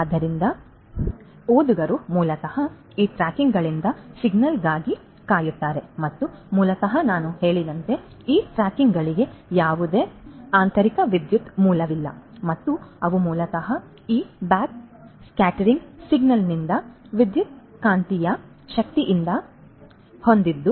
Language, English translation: Kannada, So, the reader basically will wait for a signal from these tags and basically as I said that these tags do not have any internal power source and they are basically powered by electromagnetic energy from this backscattered signal